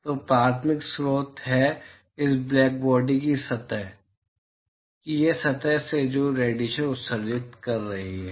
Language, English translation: Hindi, So, primary source is the this surface of the this black body surface which is emitting radiation